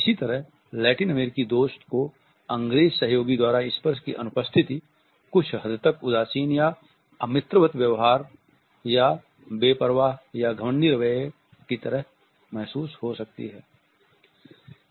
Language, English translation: Hindi, Similarly the Latin American friend may feel the absence of touch by the British as somewhat cold or unfriendly or unconcerned or an example of a smug attitude